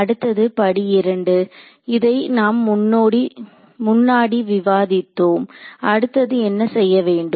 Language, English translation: Tamil, Next step; step 2 we discuss this previously what do I do next